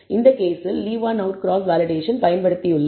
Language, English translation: Tamil, In this case, we have used left Leave One Out Cross Validation strategy